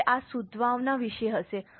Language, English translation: Gujarati, Now this is about the goodwill